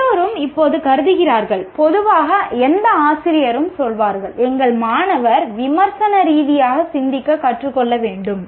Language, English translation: Tamil, Everybody considers, you know, generally on the drop of the hat, any teacher will say our students should learn to think critically